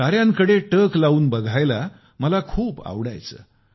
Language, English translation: Marathi, I used to enjoy stargazing